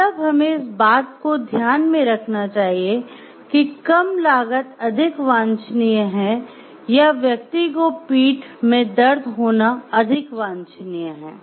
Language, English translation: Hindi, So, should we take into this thing like whether low cost is more desirable or the person not having a backache is more desirable